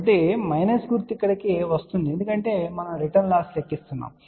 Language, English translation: Telugu, So, this minus sign is coming over here because we are calculating return loss